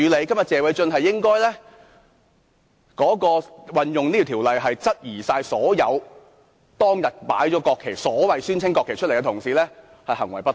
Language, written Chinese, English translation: Cantonese, 今天謝偉俊議員引用這項條文是質疑所有當日擺放國旗——宣稱是國旗——的同事行為不當。, Mr Paul TSE has invoked this rule today to question that all Members who placed the national flags or what was declared as a national flag have misconducted themselves